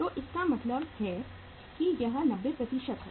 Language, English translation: Hindi, So it means it is 90%